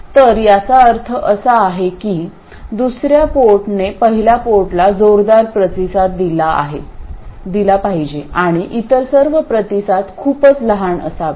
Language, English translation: Marathi, So, all it means is that the second port must respond strongly to the first port and all other responses must be very small